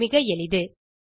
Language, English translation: Tamil, This is simple